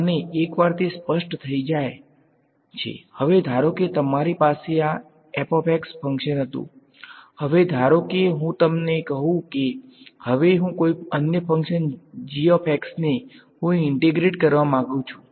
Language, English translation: Gujarati, And, once that is specified; now supposing you had this function f of x, now supposing I tell you now I want to integrate some other function g of x